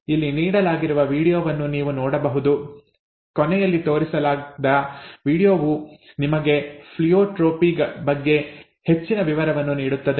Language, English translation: Kannada, You can look at the video that is given here, the last video that is shown that will give you some more details about Pleiotropy